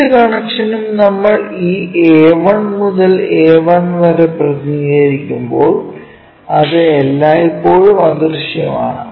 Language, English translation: Malayalam, When we are representing this A 1 to A 1 whatever connection, that is always be invisible